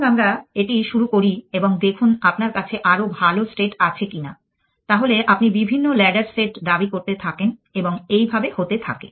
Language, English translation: Bengali, Let us say this launch and see if you have better state then you keep claiming the different set of ladders and so on